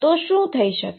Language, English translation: Gujarati, So, what could happen